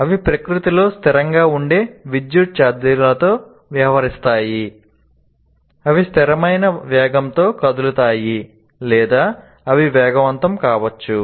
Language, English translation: Telugu, And electrical charges can be static in nature or they can be moving at a constant velocity or they may be accelerating charges